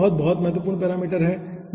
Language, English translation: Hindi, capitals were very, very important parameter